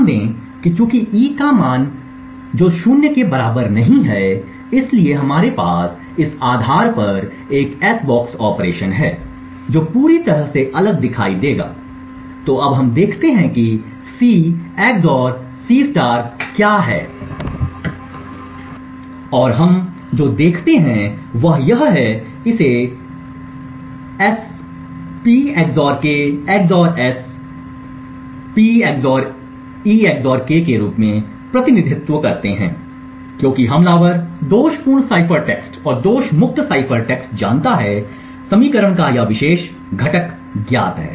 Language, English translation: Hindi, Note that since e has a value which is not equal to 0 therefore we have an s box operation based on this which would look completely different, so now let us look at what C XOR C* is and what we see is that we can represent this as S[ P XOR k] XOR S[P XOR e XOR k], since the attacker knows the faulty cipher text and fault free cipher text this particular component of the equation is known